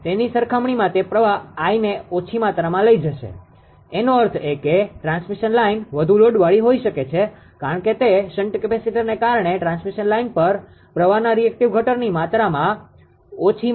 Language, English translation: Gujarati, It will it it it will carry less amount of current I write compared to that; that means, transmission line can be further over further loaded because it will draw less amount of reactive component of the current to the transmission line because of the shunt capacitor